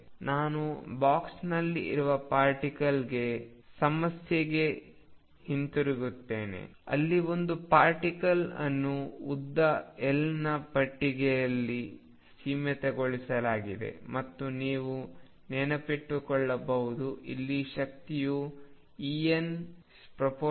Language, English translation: Kannada, Again we go back to particle in a box problem, where a particle was confined in a box of length L and if you recall this energy en was proportional to 1 over L square